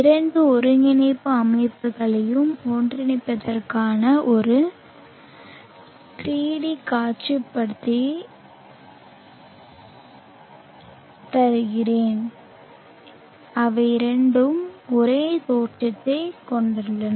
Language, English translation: Tamil, Let me give you a 3D visualization of merging the two coordinates systems such that they both have the same origins